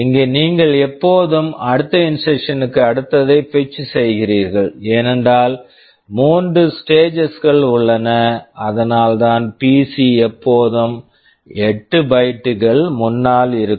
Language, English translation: Tamil, Here you are always fetching the next to next instruction because there are three stages that is why the PC is always 8 bytes ahead